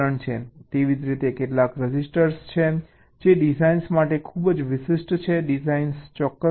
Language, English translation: Gujarati, similarly, there is some registers which are very specific to designs